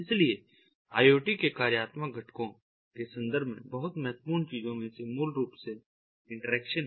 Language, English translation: Hindi, so, in terms of the functional components of iot, so one of the very important things is basically interaction